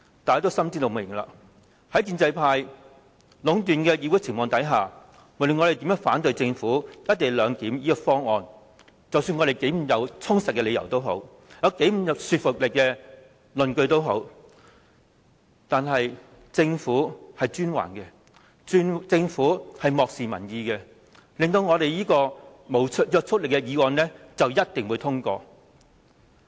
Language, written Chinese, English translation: Cantonese, 大家心知肚明，在建制派壟斷議會的情況下，無論我們如何反對政府"一地兩檢"的方案，不管我們的理由如何充實、論據如何具說服力，但是專橫的、漠視民意的政府，是一定能夠令這項不具約束力的議案獲得通過。, Everyone knows only too well that due to the domination of the pro - establishment camp in this Council this autocratic and unresponsive Government can surely secure the passage of this motion with no legislative effect no matter how strongly we oppose the Governments co - location arrangement how cogent our reasons are and how convincing our justifications are